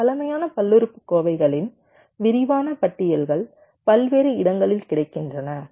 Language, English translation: Tamil, there are comprehensive lists of this primitive polynomials available in various places